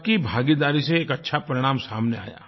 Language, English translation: Hindi, Mass participation led to good results